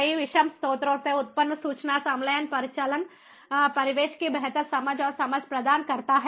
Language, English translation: Hindi, information fusion generated from multiple heterogeneous sources provides for better understanding and understanding of the operational surroundings